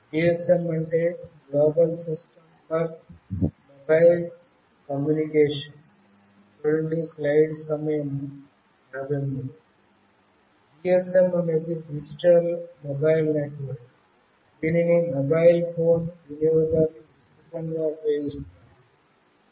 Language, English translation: Telugu, GSM is a digital mobile network that is widely used by mobile phone users